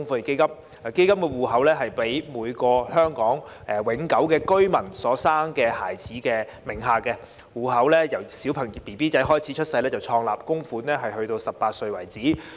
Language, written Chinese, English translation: Cantonese, 基金戶口設在每名香港永久性居民所生的孩子名下，戶口自嬰兒出生後便創立，供款至18歲為止。, Each child born to a Hong Kong permanent resident will have his own Fund account at birth which will receive contributions until he reaches the age of 18